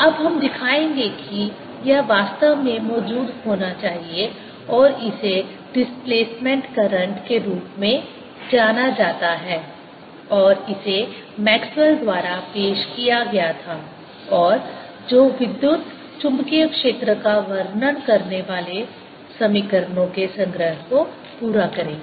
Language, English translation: Hindi, we will now show that it should indeed exist and it is known as displacement current and it was introduced by maxwell, and that will complete the entire set of equations describing electromagnetic field